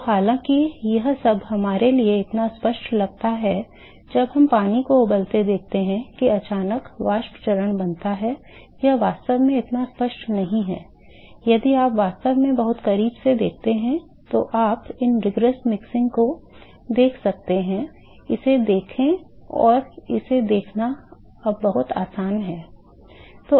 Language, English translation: Hindi, So, all though its seems so obvious for us when we see heating of water boiling of water that suddenly the vapor phase is formed, it is not actually not that obvious, if you actually observed very closely, you will see these rigorous mixing you can see that and it is very easy to see this